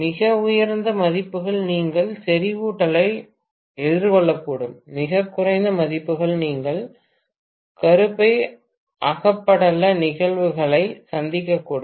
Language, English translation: Tamil, Very high values you may encounter saturation, very low values you may encounter hysteresis phenomena